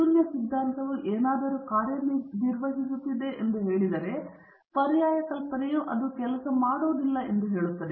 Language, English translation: Kannada, If the null hypothesis says that something is working, the alternate hypothesis will say that is not working